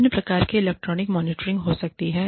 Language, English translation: Hindi, Various types of electronic monitoring, may be there